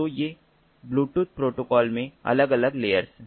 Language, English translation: Hindi, so these are the different layers in the bluetooth protocols